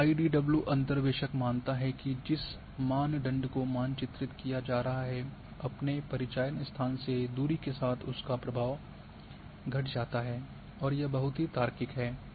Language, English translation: Hindi, Now, IDW interpolator assumes that the variable being mapped decreases in influence with distance from it is sample location, very logical here